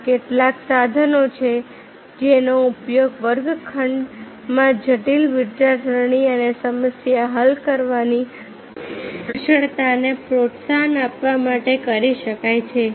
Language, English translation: Gujarati, these are some of the tools that can be used in the class rooms to foster the critical thinking and problem solving skills in a skills, in a skills in them